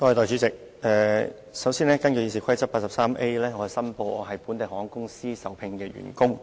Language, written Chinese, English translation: Cantonese, 首先，我根據《議事規則》第 83A 條申報，我是本地航空公司的受聘員工。, First of all I would like to declare under Rule 83A of the Rules of Procedure that I am an employee of a local airline company